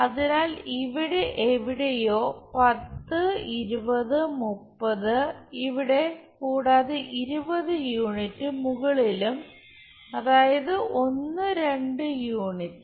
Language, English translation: Malayalam, So, somewhere 10, 20, 30 here and 20 units above; that means, 1 2 units